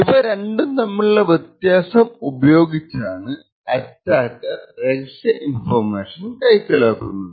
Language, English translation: Malayalam, Now the differences between these 2 are then used by the attacker to gain secret information